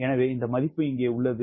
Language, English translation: Tamil, so this value is here